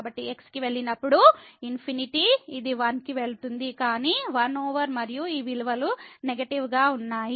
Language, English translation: Telugu, So, when goes to infinity this is going to 1, but 1 over and so, all these values were negative